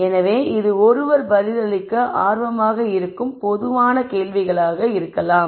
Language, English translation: Tamil, So, this would be typical questions that that one might be interested in answering